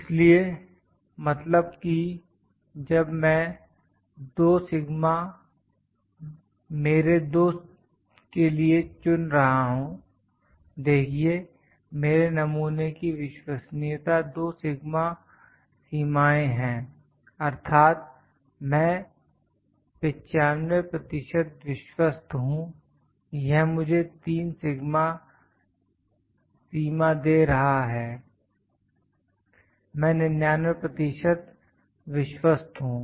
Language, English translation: Hindi, So that means, when I am selecting 2 sigma limits for my 2, see the credibility of my sample 2 sigma limits means I am 95 percent confident, if it is giving 3 sigma limits I have 99 percent confident